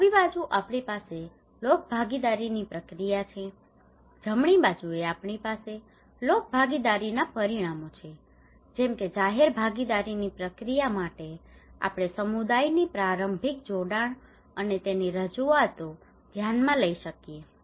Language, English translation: Gujarati, On the left hand side we have process of public participation, on the right hand side, we have outcomes of public participation like for the process of public participations we may consider early engagement of the community and representations of